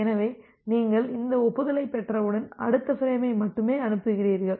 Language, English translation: Tamil, So, once you are receiving this acknowledgement, then you only send the next frame